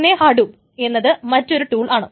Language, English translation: Malayalam, So with Hadoop, this thing